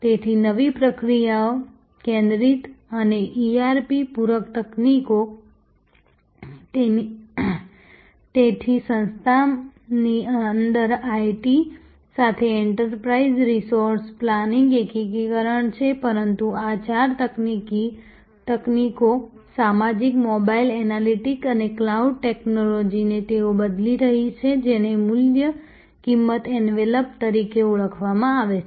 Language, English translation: Gujarati, So, new process centric and ERP complimentary technologies, so within the organization there is enterprise resource planning integration with IT, but these four technologies social, mobile, analytics and cloud technologies they are changing what is known as the value cost envelop